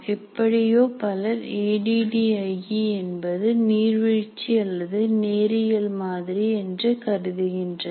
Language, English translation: Tamil, And somehow many other people have considered that this is a waterfall model or a linear phase model